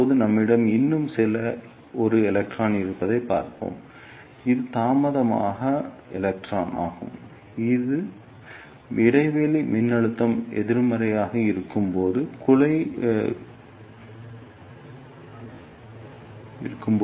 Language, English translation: Tamil, Now, let us see we have one more electron that is late electron which reaches the cavity gap when the gap voltage is negative